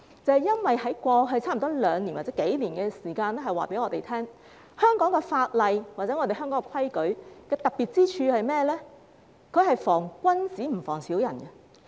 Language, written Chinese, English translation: Cantonese, 這是因為過去兩年或幾年的時間告訴我們，香港法例或規矩的特別之處是防君子而不防小人。, This is because we have learnt from the experience in the past couple of years that law and regulations in Hong Kong are unique in that they are drawn up for the gentleman but not the villain